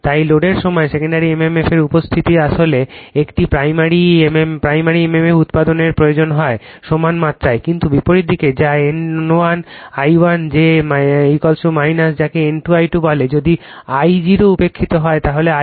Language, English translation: Bengali, Hence on load the presence of secondary mmf actually a necessitates the production of primary mmf equal in magnitude, but oppose in opposite in direction that is your N 1 I 2 that is equal to minus your what you call N 2 I 2,if your I 0 is neglected then I 2 dash is equal to I 1